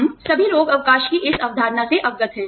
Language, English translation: Hindi, We are all aware of this concept of sick leave